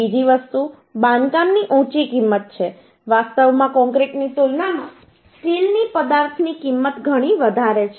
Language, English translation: Gujarati, actually uhh material cost of steel is quite high as compared to concrete